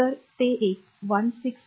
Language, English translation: Marathi, So, it is one 166